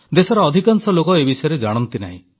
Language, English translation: Odia, Not many people in the country know about this